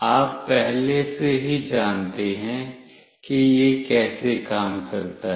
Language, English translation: Hindi, You already know how it works